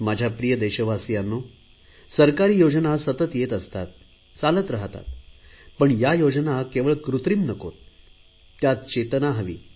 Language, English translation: Marathi, My dear countrymen, the government schemes will continue exist and run, but it is necessary that these schemes always remain operational